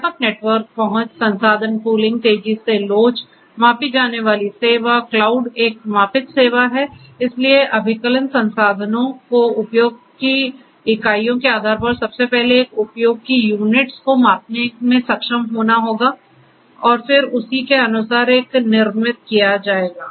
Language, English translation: Hindi, Broad network access, resource pooling, rapid elasticity, measured service, cloud is a measured service so depending on the units of usage of this computation resources one will first of all one will be able to measure the units of use and then accordingly one is going to be built